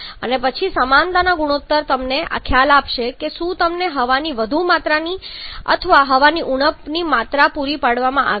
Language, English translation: Gujarati, And then the equivalence ratio is going to give you the idea that however there you have been supplied with excess quantity of air or a deficient amount of air